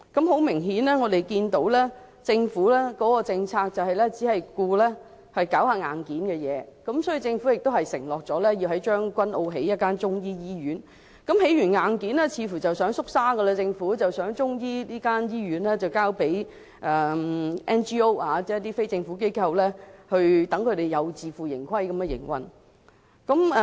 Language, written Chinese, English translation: Cantonese, 很明顯，我們可以看到，政府的政策只顧興建硬件，例如政府承諾在將軍澳建設一間中醫醫院，建設了硬件後政府似乎又想"縮沙"，有意將中醫醫院交給 NGO， 即非政府機構以自負盈虧的方式營運。, Obviously we can see that the Governments policy cares only to develop hardware . For example the Government has undertaken to develop a Chinese medicine hospital in Tseung Kwan O but after providing the hardware the Government seems to be backing down from its pledge as it now intends to entrust an NGO or a non - governmental organization with the operation of the Chinese medicine hospital on a self - financed basis